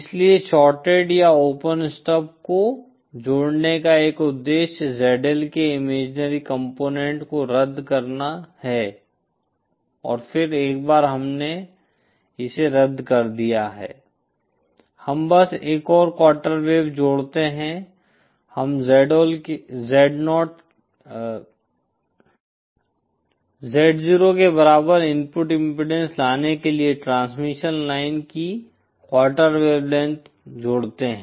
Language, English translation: Hindi, So one the purpose of connecting the shorted or open stub is to cancel the imaginary component of ZL and then once we have cancelled it, we simply add another quarter wave we add a quarter wavelength of transmission line to bring the input impedance equal to Z0